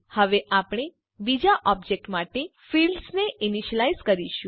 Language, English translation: Gujarati, Now, we will initialize the fields for the second object